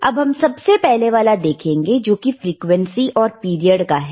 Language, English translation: Hindi, Let us see the first one which is the frequency and period